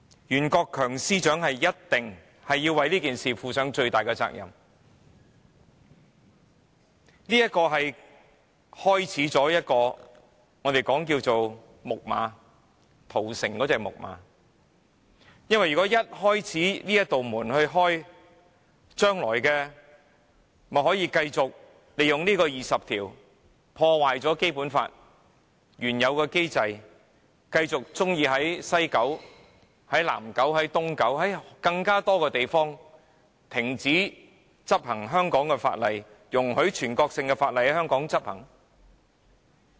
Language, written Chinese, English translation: Cantonese, 袁國強司長一定要為這件事負上最大的責任，這方案就如《木馬屠城記》中木馬的缺口，缺口一旦打開了，中央政府將來便可繼續利用《基本法》第二十條來破壞《基本法》原有的機制，或許會在西九龍、南九龍、東九龍，或更多的地方停止執行香港的法例，容許全國性的法例陸續在香港執行。, The proposal is like the Trojan Horse . Once it is brought in our door will be opened and the Central Government can then keep invoking Article 20 of the Basic Law to ruin the mechanisms laid down in the Basic Law . One day the enforcement of Hong Kong laws in West Kowloon South Kowloon East Kowloon or many more areas may simply stop and national laws may then be applied in Hong Kong one by one